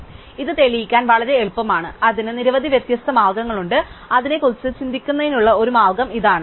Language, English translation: Malayalam, So, this is very easy to prove, there are many different ways of proving it, here is one way of thinking about it